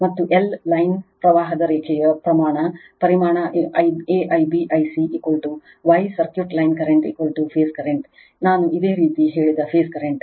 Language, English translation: Kannada, And line magnitude of L line current is equal to magnitude I a, I b, I c is equal to the phase current I told you for star circuit line current is equal to phase current right